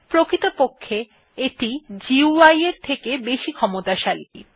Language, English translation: Bengali, In fact it is more powerful than the GUI